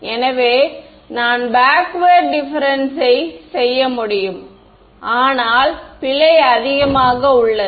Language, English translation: Tamil, So, I could do backward difference, but error is high ok